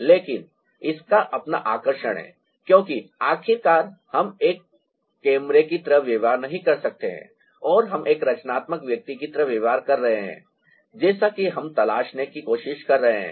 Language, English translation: Hindi, but that has its own charm because, finally, we are not behaving like a camera and we are behaving like a creative individual, as, ah, we are trying to ah, explode